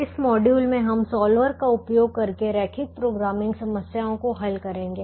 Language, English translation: Hindi, in this module we will solve linear programming problems using a solver